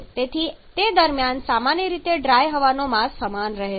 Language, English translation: Gujarati, So during them generally the mass of dry air remains the same